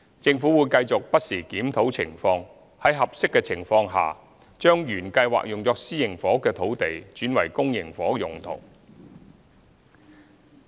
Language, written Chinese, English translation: Cantonese, 政府會繼續不時檢討情況，在合適的情況下將原計劃用作私營房屋的土地轉為公營房屋用途。, The Government will continue to examine the situation from time to time and where appropriate re - allocate sites originally intended for private housing for public housing use